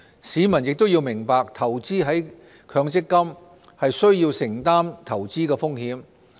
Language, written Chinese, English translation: Cantonese, 市民亦要明白投資在強積金，需要承擔投資風險。, He also has to understand the need to take investment risks when investing in MPF